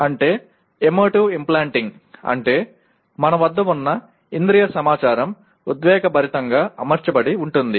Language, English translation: Telugu, That means emotive implanting means that whatever that has sensory information that has come it has been emotively implanted